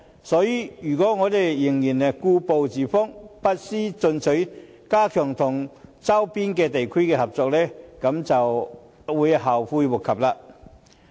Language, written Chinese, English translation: Cantonese, 所以，如果我們仍然故步自封，不思進取，加強與周邊地區的合作，便會後悔莫及。, Hence it will be too late for us to regret if we still rest on our laurels and refuse to move ahead to strengthen cooperation with our neighbouring cities